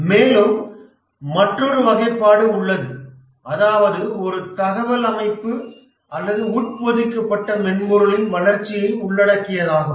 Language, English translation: Tamil, There is another classification that whether the project involves development of an information system or an embedded software